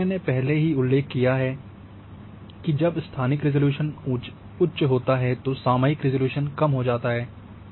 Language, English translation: Hindi, So, as I have already mentioned that higher the spatial resolution lower is going to be the temporal resolution